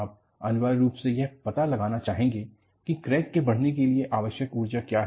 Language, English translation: Hindi, You would essentially, want to find out, what is the energy required for crack to propagate